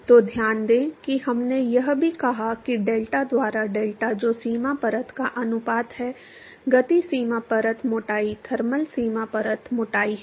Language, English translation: Hindi, So, note that we also said that delta by deltat which is the ratio of the boundary layer, momentum boundary layer thickness to be thermal boundary layer thickness